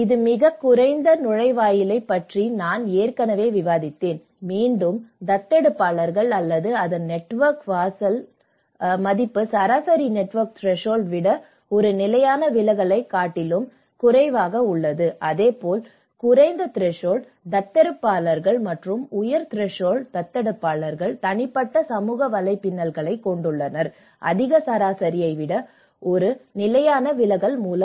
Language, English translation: Tamil, And I have already discussed about this very low threshold, again the adopters or the individual whose network threshold value is greater than one standard deviation lower than the average that network threshold and similarly, the low threshold adopters and the high threshold adopters have a personal social networks bounded by one standard deviation lower than the higher average